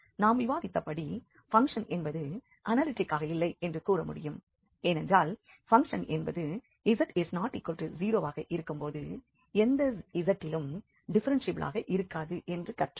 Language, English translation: Tamil, And as I discussed, we can conclude that the function is nowhere analytic because here we learned that the function is not differentiable at any z if z is not equal to 0